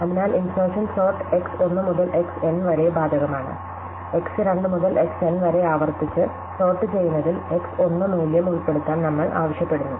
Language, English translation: Malayalam, So, the insertion sort applied to X1 to Xn, requires us to insert the value X1 in the recursively sorted X2 to Xn